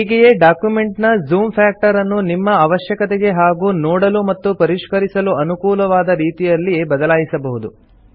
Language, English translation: Kannada, Likewise, you can change the zoom factor according to your need and convenience for viewing and editing the documents